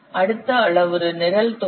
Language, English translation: Tamil, Next parameter is program volume